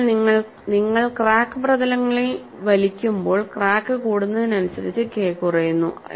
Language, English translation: Malayalam, So, as you pull the crack surfaces, as the crack increases, K decreases